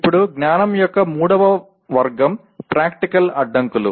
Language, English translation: Telugu, Now, the third category of knowledge is Practical Constraints